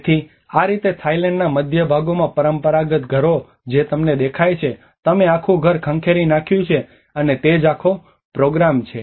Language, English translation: Gujarati, So this is how a traditional houses in the central parts of Thailand which you see like you have the whole house is raised in stilts, and that is how the whole program